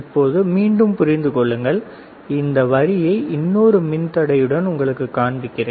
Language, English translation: Tamil, So now, again understand, this line that is let me show it to you with another resistor